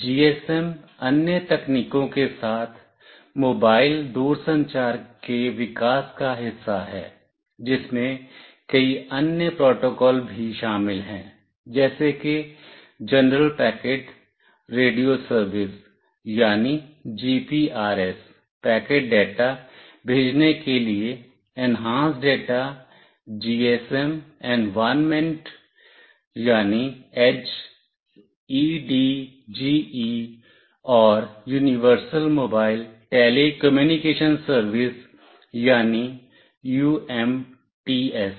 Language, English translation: Hindi, GSM, along with other technologies, is part of the evolution of mobile telecommunication, which include many other protocols as well, like General Packet Radio Service that for sending packet data, Enhanced Data GSM Environment , and Universal Mobile Telecommunication Service